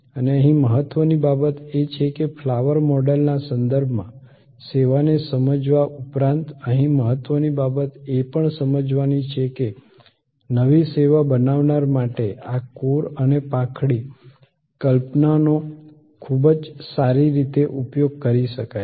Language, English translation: Gujarati, And the important thing here in addition to understanding a service in terms of the flower model, the important thing here is to also understand that these core and petal concept can be used very well to create a new service